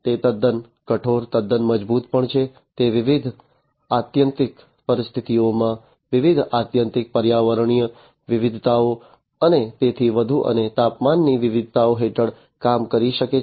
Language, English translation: Gujarati, It is also quite rigid, quite robust, it can work under different extreme conditions, different extreme environmental variations, and so on, and temperature variations